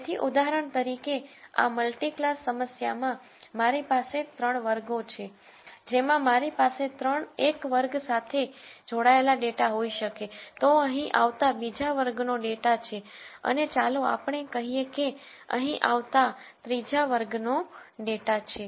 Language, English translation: Gujarati, So, in this multi class problem which is I have 3 classes, if I could have data belonging to one class falling here data belonging to another class falling here and let us say the data belonging to the third class falling here for example